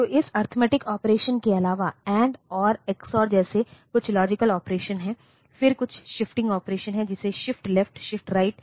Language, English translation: Hindi, So, apart from this arithmetic operation, there are some logic operations like AND, OR, XOR, then there are some shifting operations a shift left, shift right like that